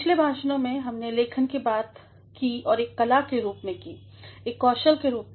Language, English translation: Hindi, In the previous lectures, we have talked about writing as an art, as a skill